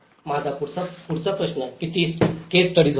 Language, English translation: Marathi, My next question was how many case studies